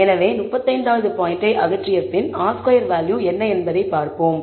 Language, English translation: Tamil, So, after removing the 35th point, I am able to see a pretty good change in the R squared value